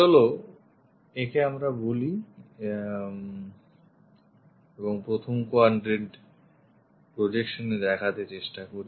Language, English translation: Bengali, Let us call and we would like to visualize this in the first quadrant projection